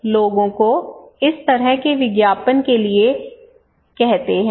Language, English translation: Hindi, We generally ask people have this kind of advertisement